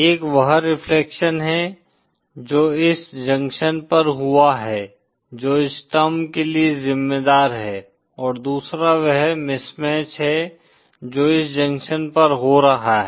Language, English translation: Hindi, One is the reflection that has taken place at this junction which is accounted for this term, & other is the mismatch which is happening at this junction